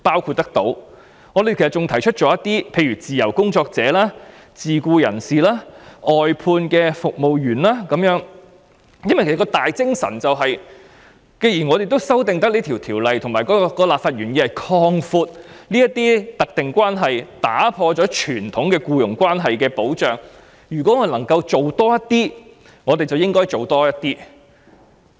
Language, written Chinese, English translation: Cantonese, 此外，我們也有提及自由工作者、自僱人士及外判服務員工，因為既然我們修訂有關的法例，而立法原意是要擴闊特定關係並打破傳統僱傭關係的保障，所以能夠做得更多，便應該多做一點。, We have also mentioned freelancers self - employed persons and outsourced service workers . Given that the intent of proposing amendments to the relevant legislation is to broaden the specified relationship and break away from the protection of traditional employment relations we should do as much as we can